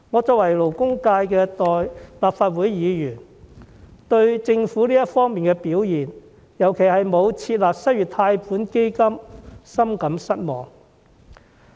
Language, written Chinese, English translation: Cantonese, 作為勞工界的立法會議員，我對政府這方面的表現，尤其是沒有設立失業貸款基金，深感失望。, As a Legislative Council Member from the labour sector I am much disappointed by the performance of the Government in this regard in particular by the lack of an unemployment loan fund